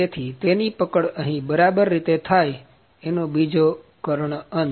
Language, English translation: Gujarati, So, that it holds gets properly over here and at the other diagonal end